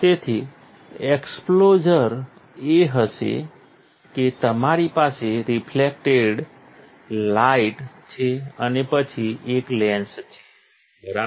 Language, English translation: Gujarati, So, the exposure would be that you have the reflected light and then there is a lens, right